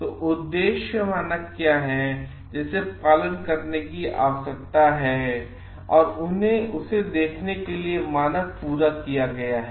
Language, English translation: Hindi, So, what is the objective standard they needs to be followed to show like, the standard has been met